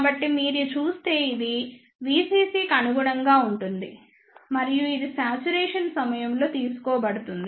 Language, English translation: Telugu, So, this will corresponds to V CC if you see and this is taken at this saturation